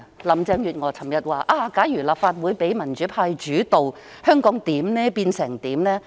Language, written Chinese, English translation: Cantonese, 林鄭月娥昨日說，假如立法會讓民主派主導，香港會變成怎樣？, Yesterday Carrie LAM asked what Hong Kong would become if the Legislative Council was dominated by the democrats?